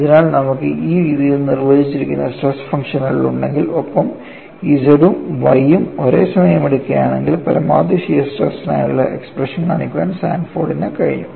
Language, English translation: Malayalam, So, if you have the stress functions defined in this fashion, and also simultaneously taking Z as well as Y, Sanford was able to show the expression for maximum shear stress, turns out to be like this